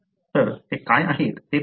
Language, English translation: Marathi, So, let us see what they are